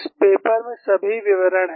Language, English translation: Hindi, This paper has all the details